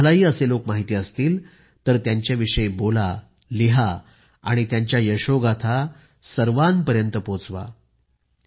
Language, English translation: Marathi, If you too know of any such individual, speak and write about them and share their accomplishments